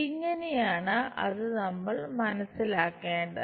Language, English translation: Malayalam, This is the way we have to understand that